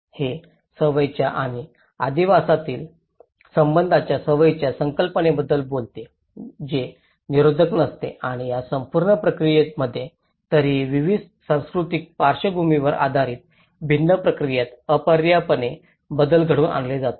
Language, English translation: Marathi, It talks about the concepts of habitus the relation between habit and the habitat which is not determinist and this whole process has anyways inevitably altered under different responses based on the different cultural backgrounds